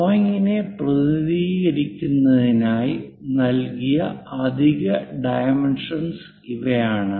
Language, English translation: Malayalam, These are the extra dimensions given just to represent the drawing